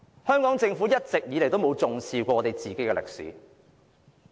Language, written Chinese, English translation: Cantonese, 香港政府從來都沒有重視本地歷史。, The Hong Kong Government has never valued local history